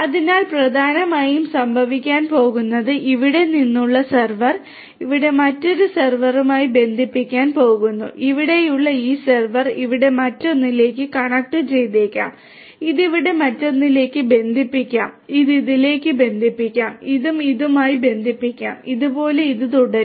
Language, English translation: Malayalam, So, essentially what is going to happen is one surfer from here is going to connect to another server over here, this server over here may connect to this one over here, this one may connect to this one over here, this one may connect to this one and this one may connect to this one and like this, this will continue